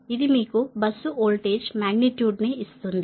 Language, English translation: Telugu, it will give you the bus voltage magnitude, right